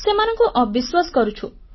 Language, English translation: Odia, We don't trust them